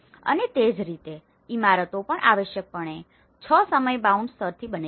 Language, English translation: Gujarati, And similarly, buildings are also essentially made of 6 time bound layers